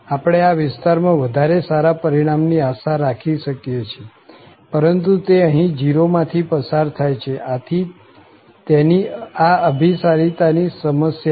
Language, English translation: Gujarati, We can expect the better match on this region, but it will pass always from this 0, so it will have this convergence issues